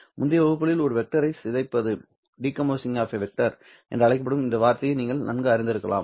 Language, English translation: Tamil, In earlier classes you might be more familiar with this word called decomposing a vector